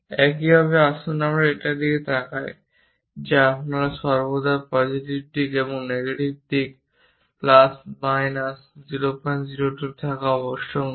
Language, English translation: Bengali, Similarly, let us look at this one its not necessary that you always have plus or minus 0